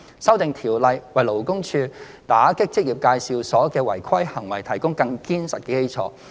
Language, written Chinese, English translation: Cantonese, 《修訂條例》為勞工處打擊職業介紹所的違規行為提供更堅實的基礎。, EAO 2018 provides an even more solid foundation for LD to combat irregularities of EAs